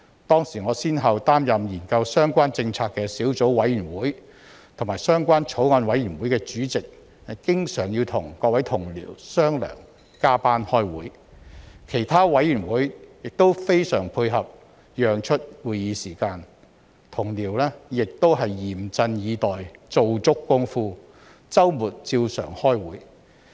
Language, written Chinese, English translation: Cantonese, 當時我先後擔任研究相關政策的小組委員會主席和相關法案委員會的主席，經常要與各位同僚商量加班開會；其他委員會亦非常配合，讓出會議時間；同僚亦嚴陣以待、做足工夫，周末照常開會。, I chaired the Subcommittee SC on the study of the related policies and the relevant Bills Committee BC respectively back then and it was quite often the case that I had to discuss with my Honourable colleagues to schedule additional meetings in those days . Other PanelsCommittees were also very cooperative by freeing up meeting time to facilitate our need . On the other hand all SC and BC members always stood ready did their homework and attended meetings as usual even at weekends